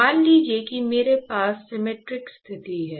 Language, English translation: Hindi, So, supposing if I have a symmetric condition